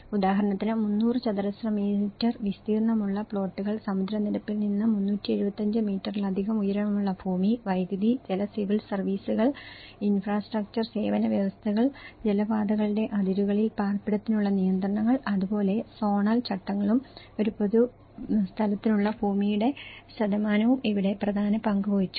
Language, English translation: Malayalam, For instance, the minimum size plots of 300 square meters, the land over 375 meters above sea level and electricity and water civil services, the infrastructure service provisions and restriction for housing on watercourses boundaries, so that is where the zonal regulations also plays an important role and the percentage of land for a public place okay